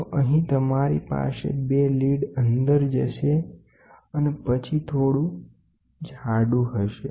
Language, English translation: Gujarati, So, you will have 2 junctions a lead goes and then you will have which is slightly thicker and